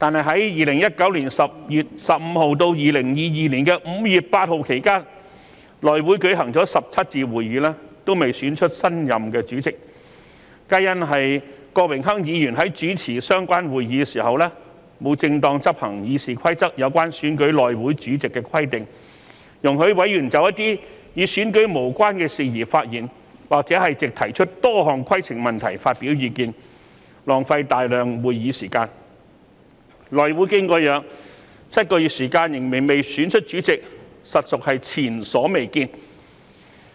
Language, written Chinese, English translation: Cantonese, 在2019年10月15日至2020年5月8日期間，內會舉行了17次會議，但還未選出新任主席，此事皆因郭榮鏗議員主持相關會議的時候沒有正常執行《議事規則》有關選舉內會主席的規定，容許委員就一些與選舉無關的事宜發言，或藉提出多項規程問題發表意見，浪費大量會議時間，內會經過7個月仍未能選出主席，實屬前所未見。, This was because when Mr Dennis KWOK presided over the meeting for the election he did not properly enforce the requirements stipulated in the Rules of Procedure RoP for electing the Chairman of the House Committee . He allowed Members to speak on issues irrelevant to the election or express their views by raising various points of order thereby wasting a lot of meeting time . The House Committee failed to elect a Chairman even after holding meetings for seven months which is unprecedented